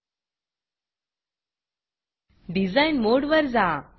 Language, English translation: Marathi, Switch back to Design mode